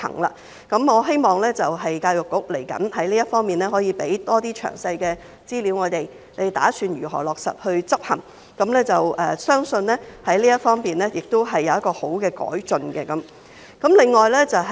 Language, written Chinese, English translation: Cantonese, 在這方面，我希望教育局未來可以向我們提供更多詳細資料，指出當局打算如何落實執行，相信這方面亦會有好的改進。, In this regard I hope that EDB will provide us with more detailed information in the future to indicate how it intends to implement the requirements and I believe that there will be improvement in this respect